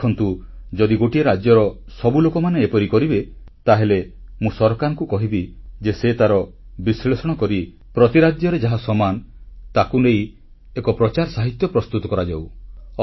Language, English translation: Odia, You see, if all the people of one state will do this, then I will ask the government to do a scrutiny of it and prepare publicity material based on seven common things received from each state